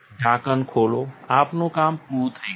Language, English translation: Gujarati, Open the lid, we are done